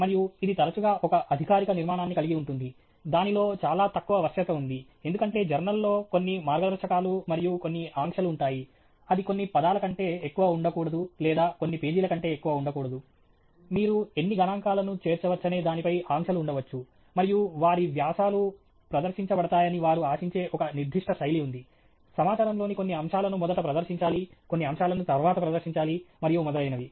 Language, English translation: Telugu, And it often has a formal structure; there’s very minimal flexibility in it, because the journal will have some guidelines and some constraints saying it cannot be more than so many words or not more than so many pages; there may be restrictions on how many figures you can include and so on; and there is a certain style that they will expect their articles to be presented in certain aspects of the information should be presented first, some aspect should be presented next and so on